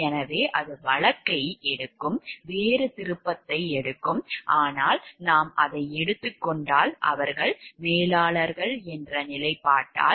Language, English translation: Tamil, So, then it will take the case will take a different turn, but if we take like it is a because by the position that they are managers